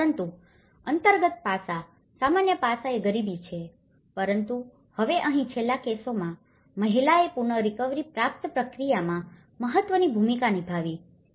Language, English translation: Gujarati, But the underlying aspect, common aspect is the poverty but now in the last cases here woman played an important role in the recovery process